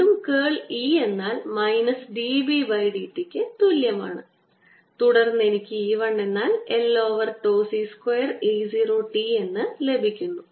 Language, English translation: Malayalam, and again, using curl of e equals minus d, v, d, t, i get e, one which is equal to l over tau c square e zero t